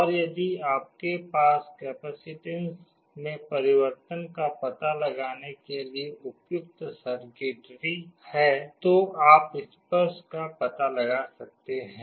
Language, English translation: Hindi, And if you have an appropriate circuitry to detect the change in capacitance, you can detect the touch